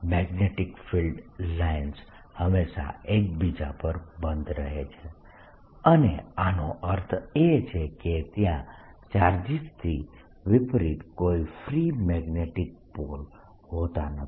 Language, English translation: Gujarati, magnetic field lines always close on each other and this means that there is no free magnetic pole, unlike the charges